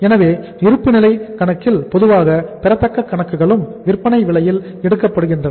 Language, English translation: Tamil, So accounts receivables normally in the balance sheet are also taken at the selling price